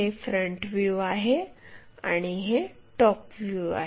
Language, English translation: Marathi, But, this one is front view and this one is top view